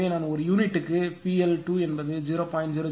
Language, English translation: Tamil, So, in per unit I am writing P L 2 is equal to 0